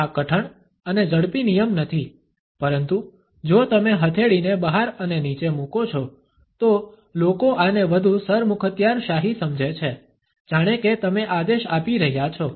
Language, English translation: Gujarati, Just a little bit of nuance here this is not a hard and fast rule, but if you place palm out and down, people tend to understand this as more authoritarian like you are giving a command